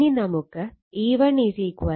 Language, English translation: Malayalam, Now, we know E 1 is equal to 4